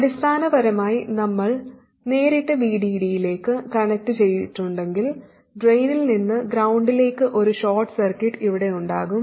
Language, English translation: Malayalam, Basically if we connect it directly to VD we will have a short circuit here right from the drain to ground